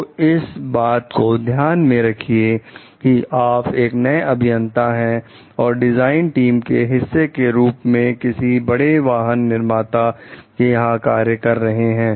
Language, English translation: Hindi, So, please note you are a new engineer working as a part of a design team for a large automobile manufacturer